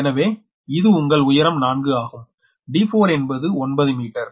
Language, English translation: Tamil, so this height is your four and d four is given your, what you call d four is given nine meter